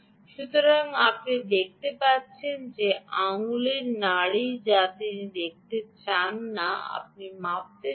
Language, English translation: Bengali, this is the finger pulse that she want, that you want to measure up here